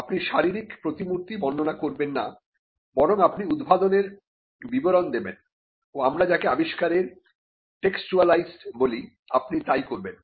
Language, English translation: Bengali, You would not describe the physical embodiments; rather, what you would do is you would describe the invention, and what we call you would textualise the invention